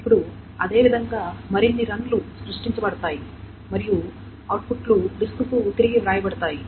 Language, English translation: Telugu, Now similarly more runs will be created and the outputs will be written back to the disk